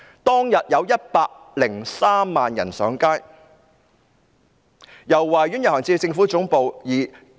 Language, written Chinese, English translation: Cantonese, 當天有103萬人上街，由維多利亞公園遊行至政府總部。, On that day 1.03 million people took to the streets marching from the Victoria Park to the Government Headquarters